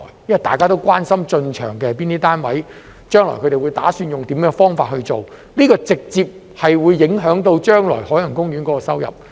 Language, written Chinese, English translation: Cantonese, 因為大家都關心是哪些單位進場，將來它們打算用甚麼方法運作，因這直接影響海洋公園將來的收入。, This is because we are all concerned about which parties will enter the scene and which mode of operation they intend to adopt in the future as this will directly affect the future income of OP